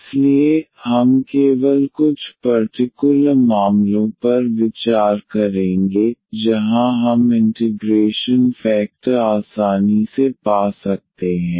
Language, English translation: Hindi, So, we will consider only some special cases where we can find the integrating factor easily